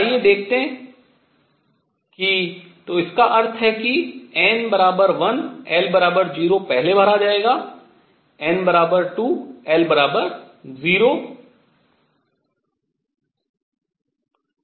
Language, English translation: Hindi, So that means, n equals 1, l equals 0 will be filled first, n equals 2, l equals 0